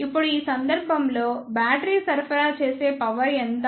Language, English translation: Telugu, Now, how much is the power supplied by the battery in this case